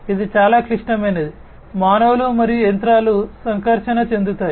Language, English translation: Telugu, This is very critical, humans and machines interacting